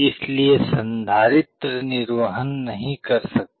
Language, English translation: Hindi, So, the capacitor cannot discharge